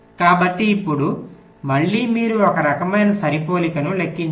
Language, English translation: Telugu, so now again you, you compute a, some kind of matching